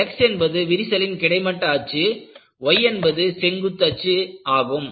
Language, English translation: Tamil, And, the x axis is along the crack axis and y axis is perpendicular to that